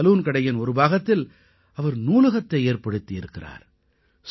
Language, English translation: Tamil, He has converted a small portion of his salon into a library